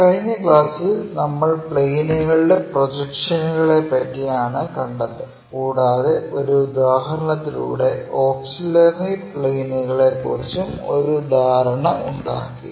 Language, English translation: Malayalam, In the last class, we try to look at projection of planes and had an idea about auxiliary planes through an example